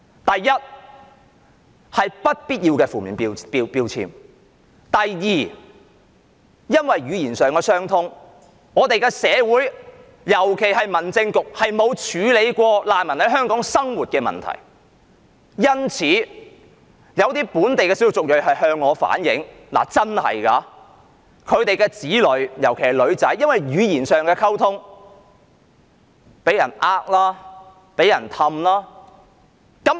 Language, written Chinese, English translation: Cantonese, 第一，他們會被貼上不必要的負面標籤；第二，基於語言上的問題，而我們的社會並沒有處理過難民在港生活時遇到的問題，因此有本地少數族裔便向我反映，說他們的子女由於語言上的溝通問題而會被人欺騙。, First an undue negative label is attached to them . Second owing to the language barrier our community especially the Home Affairs Bureau has failed to help the refugees in Hong Kong solve their problems in daily life . Some local ethnic minorities have told me that language and communication problems have made their children particularly daughters fall prey to deception